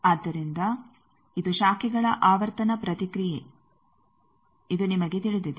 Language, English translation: Kannada, So, this is the frequency response of the branches, this also you know